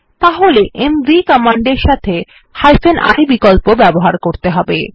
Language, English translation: Bengali, We can use the i option with the mv command